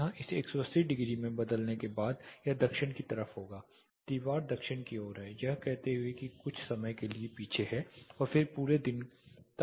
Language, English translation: Hindi, From changing this here to 180 degree this will be the south facing; the wall is facing south getting back it says for some time it is behind and then full day it is facing the surface